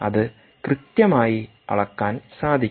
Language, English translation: Malayalam, so its very difficult to measure there